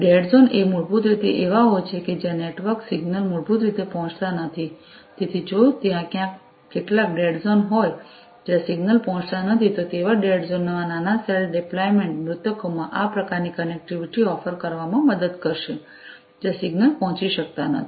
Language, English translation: Gujarati, Dead zones are basically the ones where there, you know, the network, you know, the signals basically do not reach so, if there is if there are some dead zones, where the signals do not reach, you know, the small cell deployment will help in this kind of you know offering connectivity in those dead zones, where the signals are not able to reach